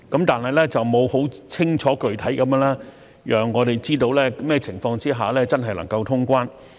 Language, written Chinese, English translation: Cantonese, 但是，它沒有很清楚具體地讓我們知道甚麼情況下真的能夠通關。, However it has not given clear details to let us know under what circumstances normal traveller clearance can really be resumed